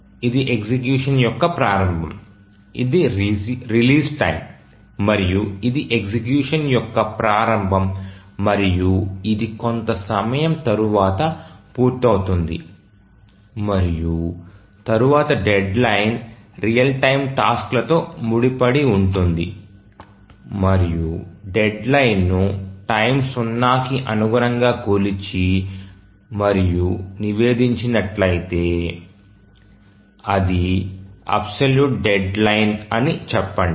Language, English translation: Telugu, So this is the start of execution, this is the release time, and this is the start of execution and it may complete after some time and then a deadline is associated with real time tasks and if the deadline is measured and reported with respect to time zero we say that it's an absolute deadline